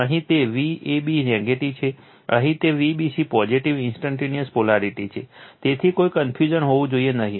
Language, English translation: Gujarati, Here it is V a b negative, here it is V b c positive instantaneous polarity right so, no there should not be any confusion